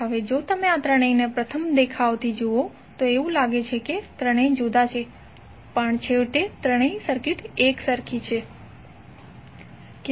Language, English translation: Gujarati, Now if you see all this three from first look it looks likes that all three are different, but eventually all the three circuits are same